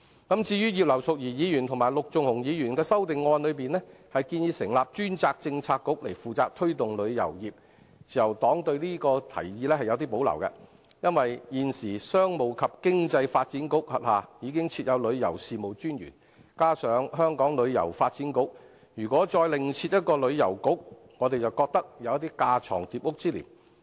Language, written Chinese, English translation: Cantonese, 對於葉劉淑儀議員及陸頌雄議員的修正案中建議，成立專責政策局負責推動旅遊業，自由黨對這提議是有保留的，因為現時商務及經濟發展局轄下已設有旅遊事務署，加上香港旅遊發展局，如果再另設一個旅遊局，我們便覺得有架床疊屋之嫌。, As for setting up a Policy Bureau dedicated to promoting tourism as proposed by Mrs Regina IP and Mr LUK Chung - hung in their amendments the Liberal Party has reservation about this proposal . This is because the Tourism Commission is now established under the Commerce and Economic Development Bureau and there is also the Hong Kong Tourism Board if a Tourism Bureau is established there might be duplication and redundancy